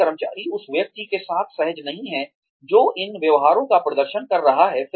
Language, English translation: Hindi, If the employee is not comfortable with the person, who is exhibiting these behaviors